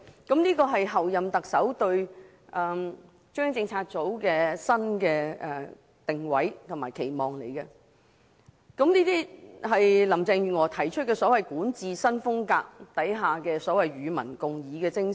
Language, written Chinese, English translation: Cantonese, 這是候任特首林鄭月娥對中央政策組的新定位和期望，亦是她提出的所謂管治新風格下與民共議的精神。, This is the new positioning and expectation set by Chief Executive - elect Carrie LAM in respect of CPU . It is also the so - called spirit of public engagement under the new style of governance proposed by her